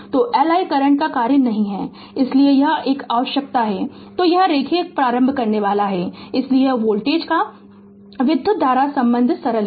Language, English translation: Hindi, So, L is not a function of I current right so it is an need then it is linear inductor right, so this the voltage current relationship simple it is